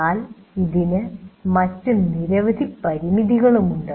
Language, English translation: Malayalam, But then it has several other limitations as well